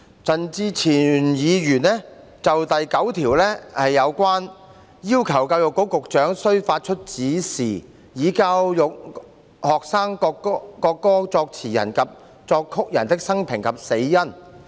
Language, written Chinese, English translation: Cantonese, 陳志全議員就第9條提出修正案，要求教育局局長須發出指示，以教育學生國歌作詞人及作曲人的生平及死因。, Mr CHAN Chi - chuen has proposed an amendment to clause 9 to require the Secretary for Education to give directions to educate the students on the biography and cause of death of the lyricist and composer of the national anthem